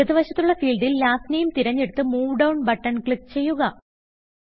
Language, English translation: Malayalam, Lets select Last Name field on the left and click the Move Down button